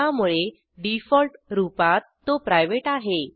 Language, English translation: Marathi, So by default it is private